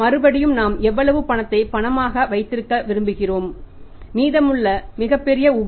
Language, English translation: Tamil, Again that has to go how much we want to keep a cash and cash and remaining part he was very large surplus is there